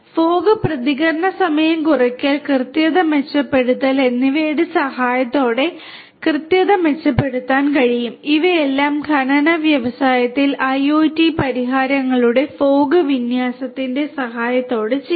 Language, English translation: Malayalam, Accuracy can be improved with the help of fog response time reduction at improvement of accuracy all of these things can be done with the help of fog based deployment of IIoT solutions in the mining industry